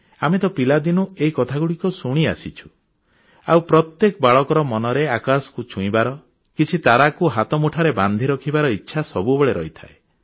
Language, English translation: Odia, We have been hearing these things since childhood, and every child wishes deep inside his heart to touch the sky and grab a few stars